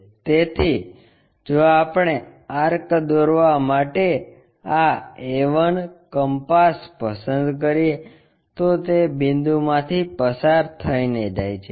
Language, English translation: Gujarati, So, if we are picking this a 1 compass draw an arc, it goes via that point